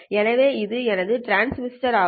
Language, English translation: Tamil, So this is my transmitter